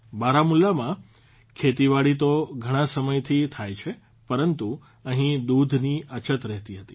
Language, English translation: Gujarati, Farming has been going on in Baramulla for a long time, but here, there was a shortage of milk